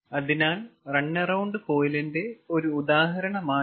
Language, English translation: Malayalam, so this is one example of run around coil ah